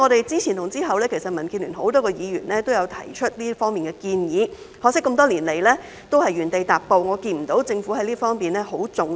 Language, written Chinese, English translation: Cantonese, 之前和之後，民建聯多位議員也有提出這方面的建議，可惜這麼多年來，也是原地踏步，我看不到政府對這方面十分重視。, Both before and after my oral question many Members from the Democratic Alliance for the Betterment and Progress of Hong Kong have put forward proposals in this regard . Unfortunately no progress has been made over the years and I do not see the Government attaching much importance to this area